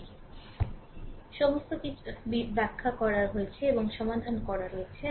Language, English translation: Bengali, So, all this things have been explained and solve